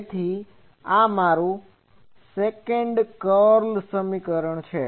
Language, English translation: Gujarati, So, this is my Second Curl equation